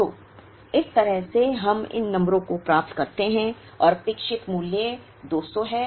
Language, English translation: Hindi, So, that is how we get these numbers and the expected value is 200